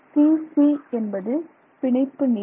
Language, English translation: Tamil, So, c bond length